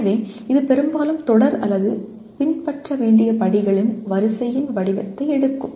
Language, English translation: Tamil, So it often takes the form of a series or sequence of steps to be followed